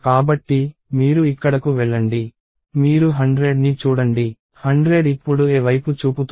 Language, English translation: Telugu, So, you go here, you look at 100, 100 is pointing to a now